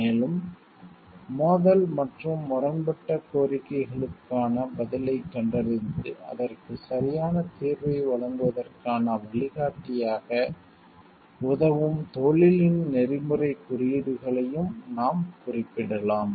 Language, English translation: Tamil, And also we can refer to the codes of ethics of the profession which helps us as a guideline to find an answer to the conflict and conflicting demands and give a proper solution to it